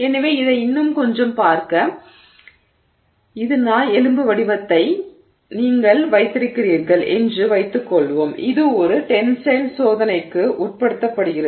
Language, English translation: Tamil, So, to look at it a little bit more, let's assume that you have this dog bone shaped sample that is being subject to a tensile test